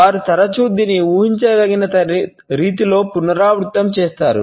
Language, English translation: Telugu, They shall often repeat it in a predictable manner